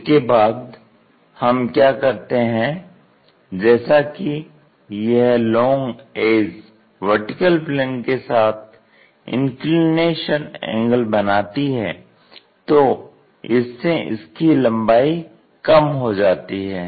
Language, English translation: Hindi, After that what we have to do is this longer edge makes an inclination angle with the vertical plane, that means, we should not see it in this way it has to decrease its length